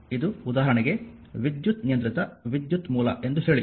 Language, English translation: Kannada, This is for example, say current controlled current source